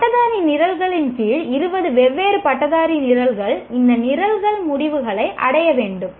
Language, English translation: Tamil, Graduates of all the 20 undergraduate programs should attain these program outcomes